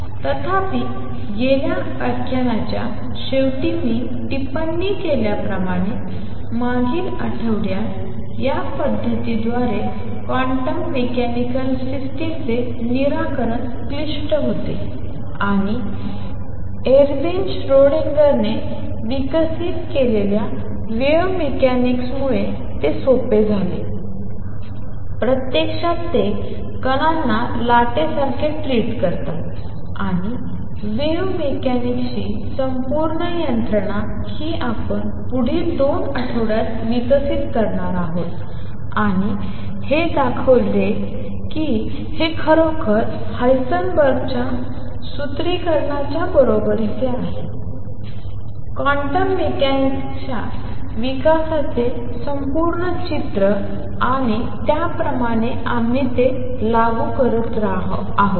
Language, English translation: Marathi, However as I commented towards the end of the last lecture, previous week, solution of quantum mechanical systems through this method becomes complicated and it was made easy with the birth of wave mechanics which was developed by Ervin Schrodinger and it actually treated particles like waves and the full machinery of wave mechanics is what we are going to develop over the next 2 weeks and show that this indeed is equivalent to Heisenberg’s formulation and that kind of complete the picture of development of quantum mechanics and along the way we keep applying it